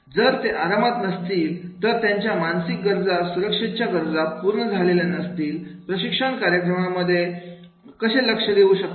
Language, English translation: Marathi, If they are uncomfortable, then their physiological needs and safety needs are not fulfilled, then how they will be able to concentrate in the training program and that is the purpose